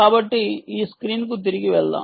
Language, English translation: Telugu, go back to the screen here